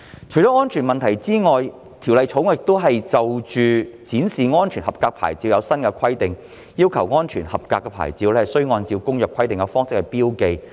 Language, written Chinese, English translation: Cantonese, 除了安全問題外，《條例草案》亦就展示安全合格牌照制訂新規定，要求安全合格牌照須按《公約》規定的方式標記。, Apart from safety issues the Bill also provides for new requirements in relation to the display of SAPs requiring that the SAP must be marked in accordance with the requirements set out in the Convention